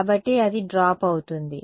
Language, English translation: Telugu, So, it's going to drop